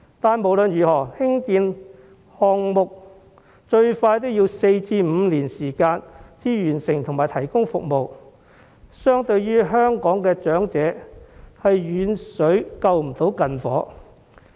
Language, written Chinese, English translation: Cantonese, 但是，無論如何，興建項目最快也要4年至5年才能落成投入服務，對香港長者的需求，是遠水救不了近火。, However these construction projects cannot provide immediate remedies to the urgent needs of the elderly in Hong Kong as it will take at least four to five years for them to complete and come into service